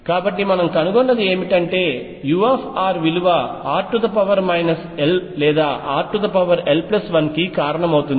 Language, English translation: Telugu, So, what we found is that u r causes either r raise to minus l or r raise to l plus 1